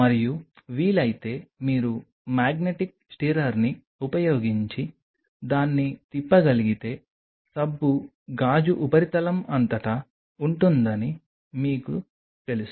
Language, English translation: Telugu, And if possible if you can swirl it using a magnetic stirrer that may be a better idea that way the soap will kind of you know will be all over the surface of the glass